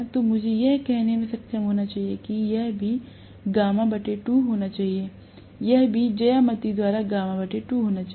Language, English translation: Hindi, So, I should be able to say this should also be gamma by 2, this should also be gamma by 2 by geometry, right